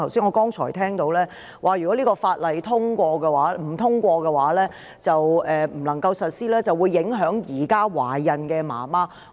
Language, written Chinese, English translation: Cantonese, 我剛才聽到，他說道如果《條例草案》因無法獲得通過而不能實施，便會影響現時懷孕的母親。, I have heard his earlier assertion that the failure to pass and in turn implement the Bill will affect many expecting mothers